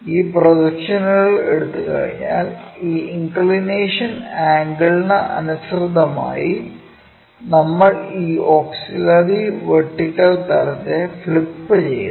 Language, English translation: Malayalam, Once we take these projections we flip this auxiliary vertical plane in line with this inclination angle